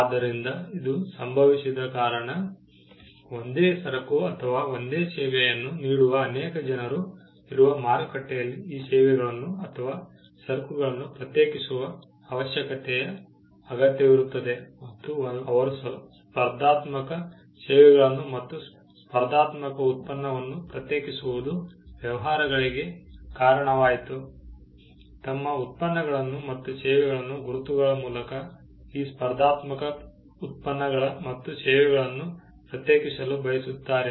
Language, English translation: Kannada, So, this came about because, in a marketplace where there are multiple people offering the same goods or the same service, there is a need to distinguish these services or goods and they need to distinguish competitive services and competitive product, led to the businesses, who are offering these competitive products and services to distinguish their products and services by way of marks